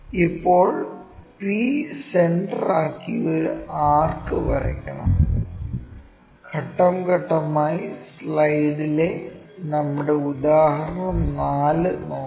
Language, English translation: Malayalam, Now, we have to draw an arc with center p; let us look at our example 4 on the slide for the steps